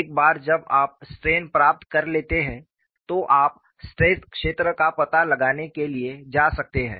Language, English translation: Hindi, Once you get the strains, you can go for finding out the stress field